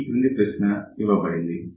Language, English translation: Telugu, So, this problem is given